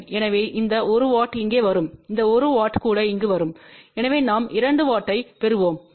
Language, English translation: Tamil, So, this 1 watt will come over here and this 1 watt will also come over here , so we will get affectively 2 watt of power